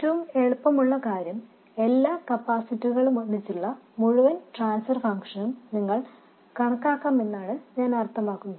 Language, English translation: Malayalam, The easiest thing is, I mean you could calculate the entire transfer function with multiple capacitors all together